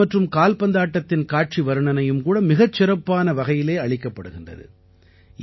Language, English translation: Tamil, The commentary for tennis and football matches is also very well presented